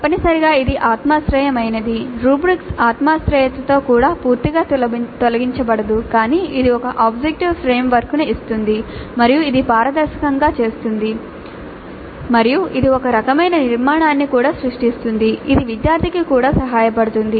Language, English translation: Telugu, Now essentially it is subjective, even with rubrics, subjectivity is not altogether eliminated but it does give an objective framework and it makes it transparent and it also creates some kind of a structure which is helpful to the student also